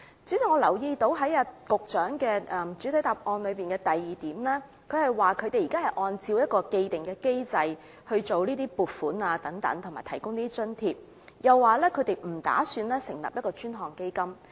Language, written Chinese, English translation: Cantonese, 主席，我留意到局長在主體答覆第二部分指出，當局現時已按照一套既定機制處理撥款及提供津貼，又指當局目前不打算成立專項基金。, President I notice that the Secretary has pointed out in part 2 of the main reply that at present the authorities handle funding and provide allowances according to an established mechanism and indicated that the authorities currently have no intention to establish dedicated funds